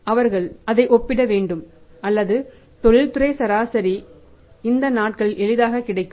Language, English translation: Tamil, So, they will have to compare that or industrial average is easily available these days